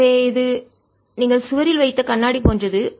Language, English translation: Tamil, so it's like a mirror you put on the wall